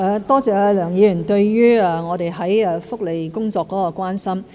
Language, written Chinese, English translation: Cantonese, 多謝梁議員對於我們福利工作方面的關心。, I thank Mr LEUNG for caring about our work in respect of welfare